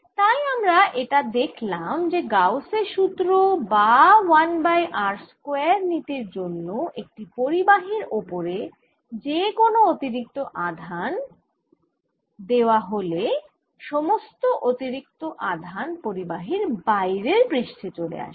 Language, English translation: Bengali, so what we have seen as a consequence of gauss's lawor as a one over r square behavior, the charge, any extra charge on a conductor move to the surface